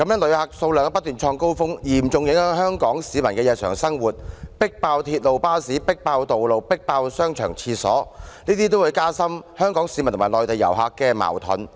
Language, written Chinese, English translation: Cantonese, 旅客數量不斷創高峰，嚴重影響香港市民的日常生活，亦"迫爆"鐵路、巴士、道路、商場、洗手間，這些都會加深香港市民和內地遊客的矛盾。, The constantly record - breaking number of visitors has seriously affected the daily lives of Hong Kong people and stuffed railways buses roads shopping centres and toilets to bursting thus deepening the conflicts between Hong Kong people and Mainland tourists